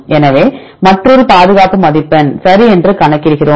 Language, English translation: Tamil, So, another conservation score we calculate ok